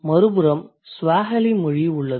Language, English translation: Tamil, Again the Swahili data